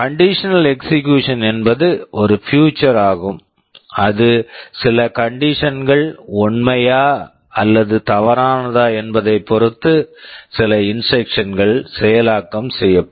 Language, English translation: Tamil, Conditional execution is a feature where some instruction will be executed depending on whether some condition is true or false